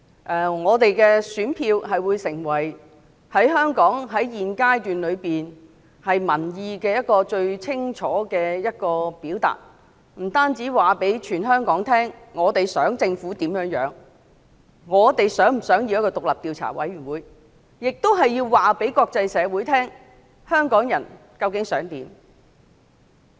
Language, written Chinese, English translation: Cantonese, 選民的選票會成為香港現階段最能清楚表達民意的方法，不單可以讓香港所有人知道我們希望政府怎樣做，我們是否希望成立獨立調查委員會，亦能讓國際社會知道香港人究竟想怎樣。, At present voting is the best way to clearly reflect public opinions in Hong Kong . The voting results will not only enable all Hong Kong people to know what actions we want the Government to take and whether we want the establishment of an independent commission of inquiry but also enable the international world to understand the aspirations of Hong Kong people